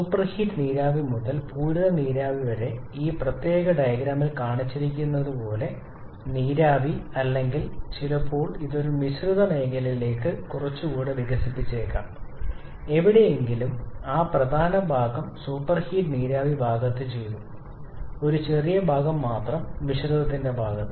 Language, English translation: Malayalam, So, the entire expansion state can be done on entirely on the vapour side that is like as shown in this particular diagram starting from superheated vapour to saturated vapour or sometimes we may have this expanded a bit more into a mixture zone coming somewhere here that major part done in the superheated vapour side and only a small portion in the mixture side